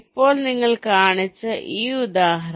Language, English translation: Malayalam, this example you have shown